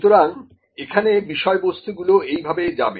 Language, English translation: Bengali, So, the contents would move like this